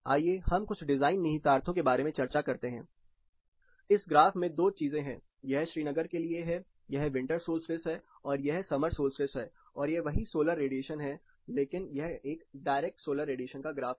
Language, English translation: Hindi, (Refer Slide Time: 29:31) Let us discuss about few design implications, this particular graph, two things, this is again for Srinagar, this is winter solstice and this is summer solstice and this is the same solar radiation, but this is a direct solar radiation graph